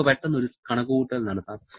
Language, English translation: Malayalam, Let us quickly do one calculation